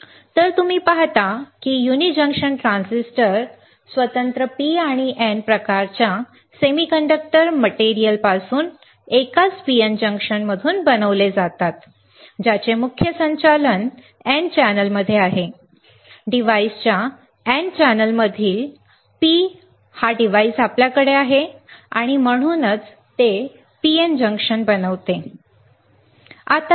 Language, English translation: Marathi, So, you see uni junction transistor are constructed from separate P and N type semiconductor materials from a single PN junction within the main conducting N channel of the; device within the N channel of the device you have this P and that is why it forms a PN junction this is a fabrication